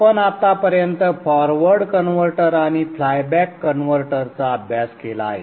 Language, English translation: Marathi, We have studied till now the forward converter and the flyback converter in the isolated class